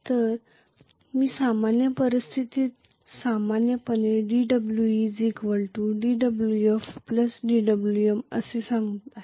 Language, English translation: Marathi, So I am going to say normally under general circumstances dWe equal to dWf plus dWm